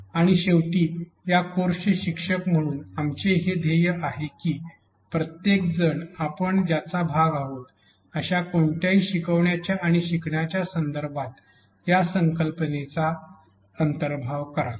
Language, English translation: Marathi, And finally, our goal as instructors of this course is that everybody internalizes this idea this philosophy of a learner centric approach in any teaching and learning context that we are part of